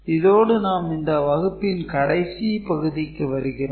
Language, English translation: Tamil, So, with this we come to the conclusion of this particular class